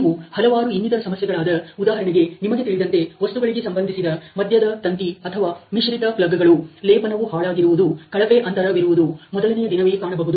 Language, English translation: Kannada, You can also see various other issues like, let say you know things related to of center wire or mixed plugs, bad plating, poor gaping on the day first, whereas some of these defects don not get recorded on day 2 and 3